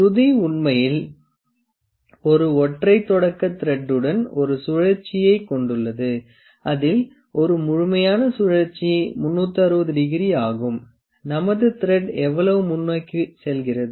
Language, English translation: Tamil, Pitch is actually with one rotation with the single start thread with one rotation, one complete rotation that is 360 degree rotation, how much forward does our thread go